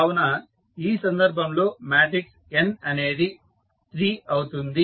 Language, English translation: Telugu, So, the matrix n in this case is 3